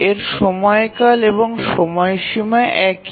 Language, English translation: Bengali, Its period and deadline are the same